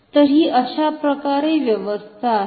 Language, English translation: Marathi, So, this is the arrangement